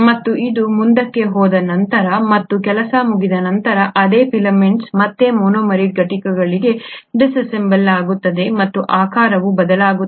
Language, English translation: Kannada, And once it has moved forward and the work is done, the same filaments will disassemble back to the monomeric units and the shape will change